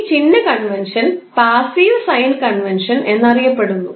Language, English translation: Malayalam, Sign convention is considered as passive sign convention